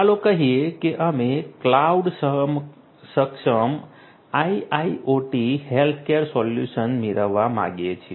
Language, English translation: Gujarati, Let us say that we want to have a cloud enabled IIoT healthcare care solution